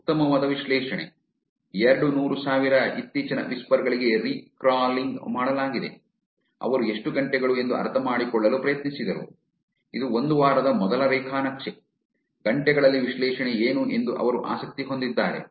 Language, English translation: Kannada, fine grained analysis, recrawled for 200 thousand latest whispers, they were actually interested in trying to understand how many hours, this was a week the first graph, what is the analysis in the hours that is what they are interested